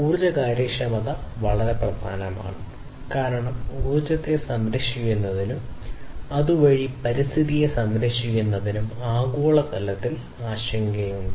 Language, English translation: Malayalam, So, nowadays, energy efficiency is very important also because there is globally a global concern about saving energy and thereby saving the environment